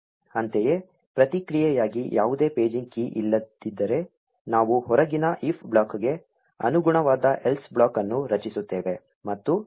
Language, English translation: Kannada, Similarly, if there is no paging key in response, we create an else block corresponding to the outer if block